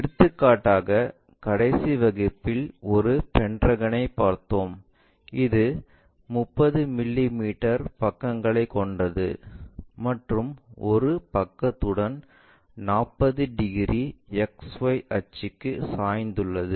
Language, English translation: Tamil, For example, we have taken a pentagon in the last class which is of 30 mm sides with one of the side is 45 degrees inclined to XY axis